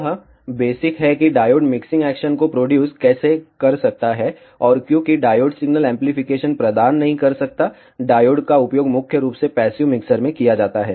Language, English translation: Hindi, This is the basic of how a diode can produce mixing action, and because a diode cannot provide signal amplification, the diodes are mainly used in passive mixers